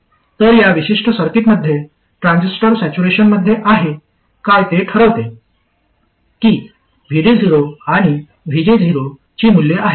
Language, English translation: Marathi, So what decides whether the transistor is is in saturation in this particular circuit are the values of VD 0 and VG 0